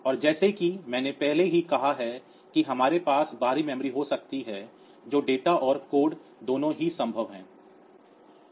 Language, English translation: Hindi, And we can as you as I have already said that we may have external memory as both data and code so that is possible